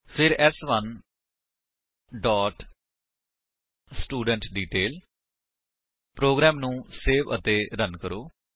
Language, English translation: Punjabi, Then s4 dot studentDetail Save and Run the program